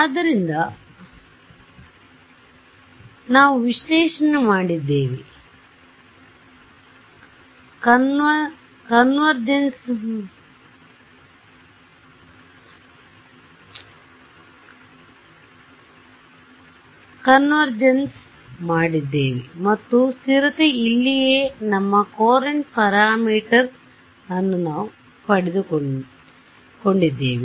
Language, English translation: Kannada, So, we looked at we did analysis, convergence we did and stability this is where we got our Courant parameter right